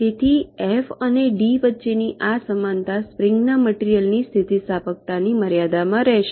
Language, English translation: Gujarati, so this proportionality between f and d, this will hold for this spring material within limits of its elasticity